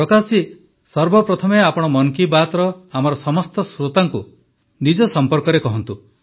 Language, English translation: Odia, Prakash ji, first of all tell about yourself to all of our listeners of 'Mann Ki Baat'